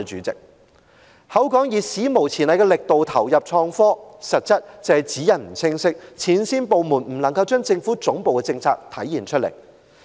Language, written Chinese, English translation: Cantonese, 政府說要以"史無前例的力度投入創科"，實質則是指引不清晰，前線部門未能將政府總部的政策體現出來。, The Government has vowed to put unprecedented efforts in investing in IT but the reality is that the guidelines are unclear and frontline departments have failed to embody the policy formulated by the Government Secretariat